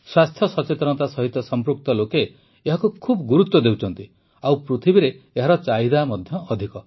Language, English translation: Odia, People connected to health awareness give a lot of importance to it and it has a lot of demand too in the world